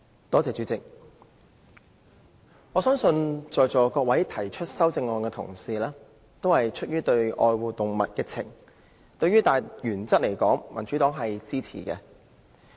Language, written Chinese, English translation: Cantonese, 代理主席，我相信在座各位提出修正案的同事，均出於愛護動物的感情；對大原則而言，民主黨是支持的。, Deputy President I believe that the colleagues present who have out of their affection for animals proposed amendments to my motion . The Democratic Party supports their general principles